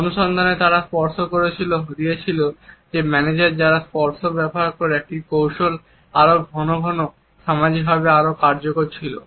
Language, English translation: Bengali, In the findings they had suggested that managers who used touch is a strategy, more frequently were more socially effective